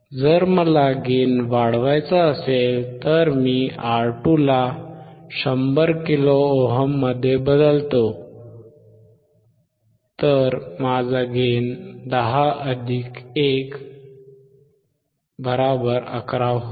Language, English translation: Marathi, If I want to increase the gain then I change R2 to 100 kilo ohm, then my gain would be 10, 10 plus 1 or 11